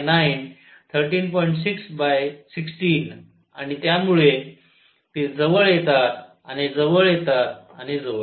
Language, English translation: Marathi, 6 by 16 and so, they come closer and closer and closer